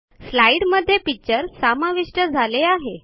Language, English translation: Marathi, The picture gets inserted into the slide